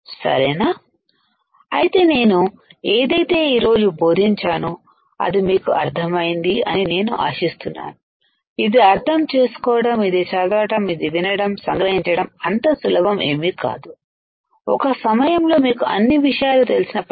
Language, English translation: Telugu, So, I hope you understood what I have taught you today, understand this read this listen to it is not so easy to grasp it, at one time even when you know the things